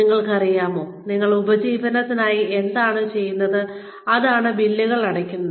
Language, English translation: Malayalam, You know, what we do for a living is, what pays the bills